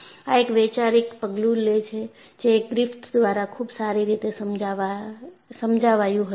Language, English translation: Gujarati, It is a conceptual step, which was beautifully understood by Griffith